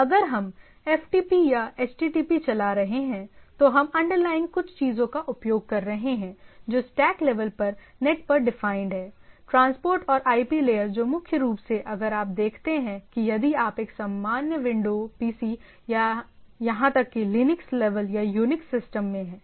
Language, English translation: Hindi, So if you look at, if a when we are running FTP or HTTP, so underlying we are using some of the things which are defined at the net at the stack level, transport and IP layer which primarily if you see that if you in a normal Windows PC or even Linux level or Unix system